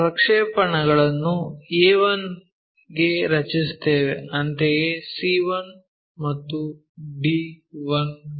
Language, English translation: Kannada, Let us draw projectors to a 1, similarly, to c 1 and to d 1